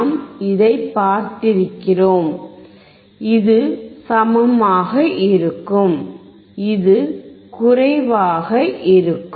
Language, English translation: Tamil, We have seen that, this would be same, and this would be less than